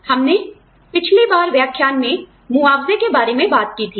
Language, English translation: Hindi, We talked about, compensation, in the last lecture